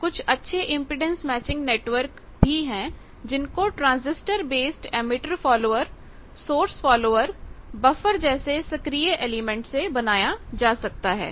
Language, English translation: Hindi, Now, there are good impedance matching network, they can be done with active elements like transistor based emitter follower source follower buffer there the active elements bits IFM